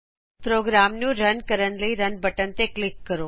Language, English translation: Punjabi, Now click on the Run button to run the program